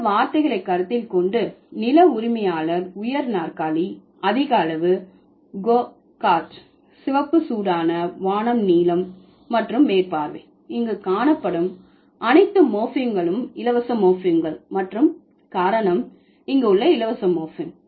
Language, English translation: Tamil, So, considering all these words landlord, high chair, overdose, go cart, red hot, sky blue and over sea, all the morphemes found here are free morphemes and because of the free morphemes that they are here, words are compound words